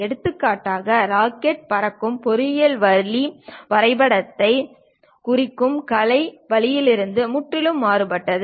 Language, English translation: Tamil, For example, the engineering way of looking at rocket is completely different from artistic way of representing drawing